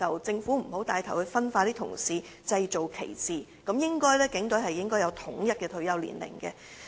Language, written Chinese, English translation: Cantonese, 政府不應帶頭分化他們，製造歧視，警隊人員應有統一的退休年齡。, The Government should not take the lead to create division and discrimination among police officers and their retirement age should be standardized